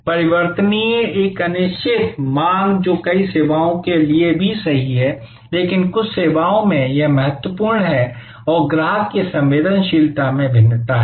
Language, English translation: Hindi, Variable an uncertain demand, which is also true for many services, but in some services, it is truer and there is varying customer price sensitivity